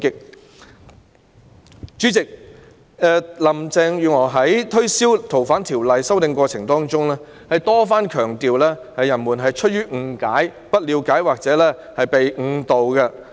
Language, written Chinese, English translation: Cantonese, 代理主席，林鄭月娥在推銷《逃犯條例》的修訂的過程中多番強調大家反對的原因是出於誤解、不了解或被誤導。, Deputy President during the course of marketing the amendment to FOO Carrie LAM repeatedly emphasized that the reason for our opposition was funded on misunderstanding a lack of understanding or we had been misled